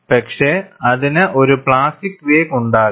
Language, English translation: Malayalam, For this case, you have the plastic wake